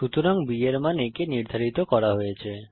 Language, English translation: Bengali, So value of b is assigned to a